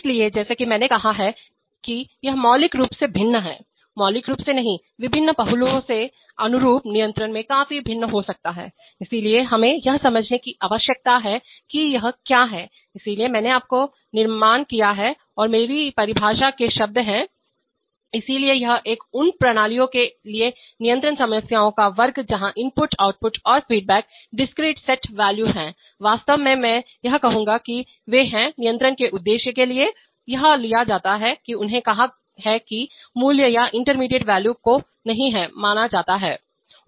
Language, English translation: Hindi, So as I said it Is fundamentally different, not fundamentally, may be very significantly different from analog controls from various aspects, so we need to understand what it is, so I constructed, and this is my definition words are mine, so it is a class of control problems for systems where inputs, outputs and feedbacks are discrete set valued, actually I would rather say that, they are, for the purpose of control it is, it is taken that they said valued, that is the intermediate values are not considered